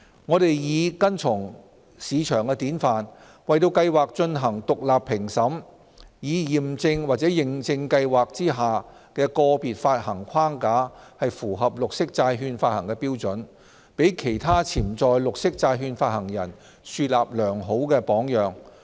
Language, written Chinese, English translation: Cantonese, 我們擬跟從市場典範，為計劃進行獨立評審，以驗證或認證計劃下的個別發行框架符合綠色債券發行標準，給其他潛在綠色債券發行人樹立良好榜樣。, To follow the best market practices and set a good example for other potential green issuers we plan to engage independent reviewers to verify andor certify the alignment of frameworks of individual issuances under the Programme with the green bond issuance standards